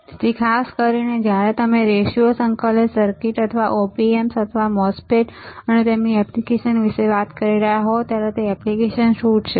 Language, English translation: Gujarati, So, particularly when you are talking about linear integrated circuits or op amps or MOSFET's and their applications what are the applications